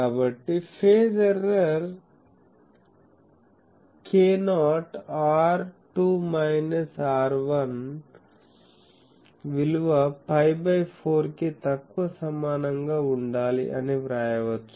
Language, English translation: Telugu, So, we can write that the phase error will be k not R2 minus R1 should be less than equal to pi by 4